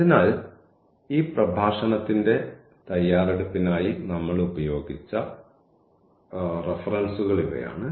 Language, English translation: Malayalam, So, these are the references we have used for the computation for this preparation of the lecture and